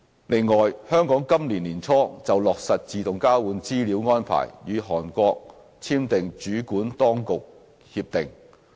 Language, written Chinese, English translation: Cantonese, 另外，香港今年年初就落實自動交換資料安排與韓國簽訂主管當局協定。, Besides Hong Kong signed a Competent Authority Agreement with Korea on the implementation of AEOI arrangement early this year